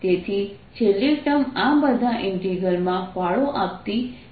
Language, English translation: Gujarati, so the last term, this does not contribute to the integral at all